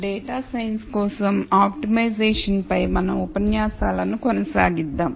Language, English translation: Telugu, Let us continue our lectures on optimization for data science